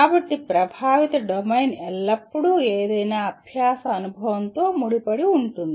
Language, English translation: Telugu, So affective domain is always associated with any learning experience